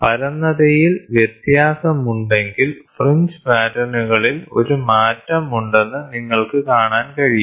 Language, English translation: Malayalam, If there is a difference in flatness, then you can see there is a shift in the fringe patterns which is done